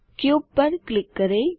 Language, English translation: Hindi, Left click Cube